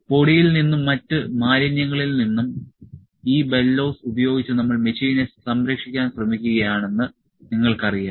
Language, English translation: Malayalam, You know we are trying to save the machine using these bellows from the dust and other impurities